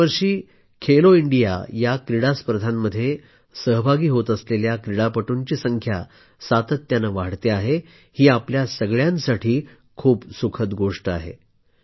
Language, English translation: Marathi, It is very pleasant for all of us to learn that the participation of athletes in 'Khelo India Games' is on the upsurge year after year